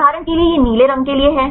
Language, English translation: Hindi, For example, this is a blue for the